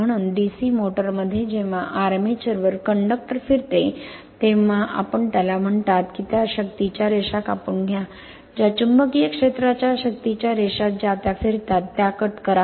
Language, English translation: Marathi, So, in a DC motor when the armature rotates the conductors on it you are what you call cut the lines of force just hold on, cut the line, cut the lines of force of magnetic field in which they revolve right